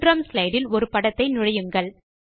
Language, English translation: Tamil, Insert a picture on the 3rd slide